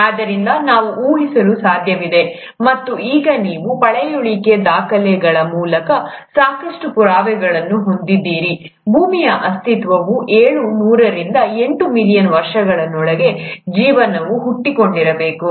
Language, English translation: Kannada, So, it is possible for us to speculate and now you have enough proofs through fossil records that the life must have originated within seven hundred to eight million years of earth’s existence